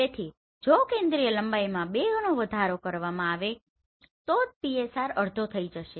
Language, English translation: Gujarati, So if focal length is increased by 2 times PSR will be reduced to half